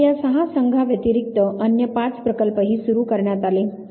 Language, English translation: Marathi, Now, besides these six teams five other projects were also initiated